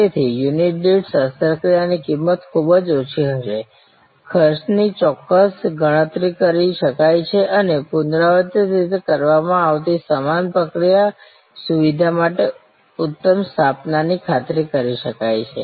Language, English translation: Gujarati, So, the per unit surgery cost will be varying very little, cost could be accurately calculated and same procedure repetitively performed could ensure optimize set up for the facility